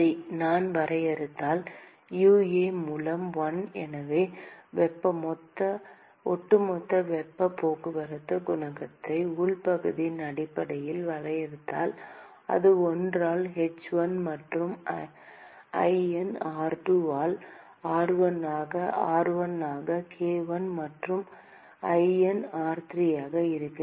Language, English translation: Tamil, Okay, so, supposing if I define, 1 by UA, so, if I define heat transport overall heat transport coefficient based on the inside area and that will simply be 1 by h1 plus ln r2 by r1 into r1 by k1 plus ln r3 by r2 into r1 by k2 plus 1 by h2 into r1 by r3